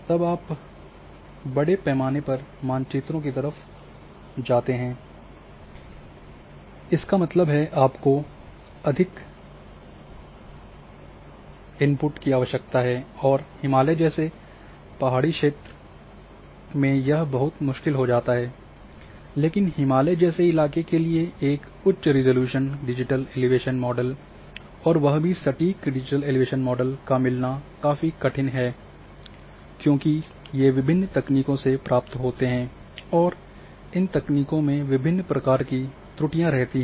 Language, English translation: Hindi, So, you cannot go for even then, you go for larger scale maps; that means, you require more input and it hilly terrain like Himalaya, it becomes very difficult, but the requirements for a high resolution digital elevation model and that too accurate digital elevation models are much, much more difficult for Himalayan terrain and different techniques are suffering the digital elevation models, which are derived from different techniques are suffering from one type of error or another